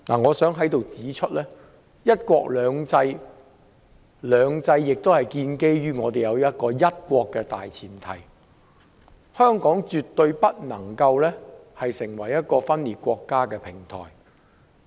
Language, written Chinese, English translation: Cantonese, 我想指出，"一國兩制"的"兩制"是建基於"一國"的大前提，香港絕對不能成為一個分裂國家的平台。, I would like to point out that two systems in one country two systems must be premised on one country and Hong Kong absolutely cannot become a platform for secession